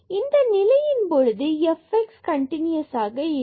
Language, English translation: Tamil, So, in this case this f x is not continuous